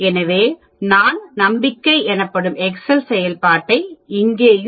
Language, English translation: Tamil, So, we can use the excel function called Confidence also here